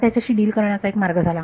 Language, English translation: Marathi, That is one way of dealing with it